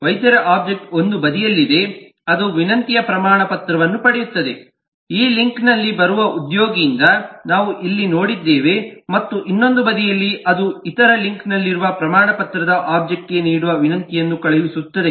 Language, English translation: Kannada, the doctor object is on one side it receives the request certificate, the one that we say here, from the employee which comes on this link, and on the other side it will send a request for issue to the certificate object on the other link